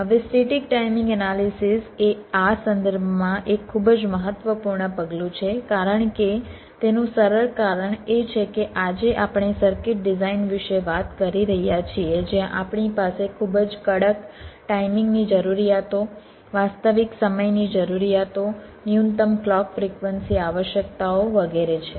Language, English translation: Gujarati, static timing analysis is a very important step in this respect because of the simple reason is that today we are talking about circuit designs where we have very stringent timing requirements real time requirements, minimum clock frequency requirements, so on